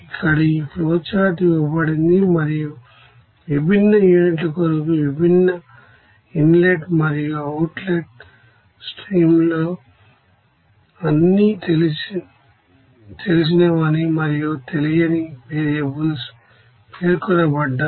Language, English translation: Telugu, Here this flowchart is given and in different you know inlet and outlet streams for different you know units there all knowns and unknowns’ variables are specified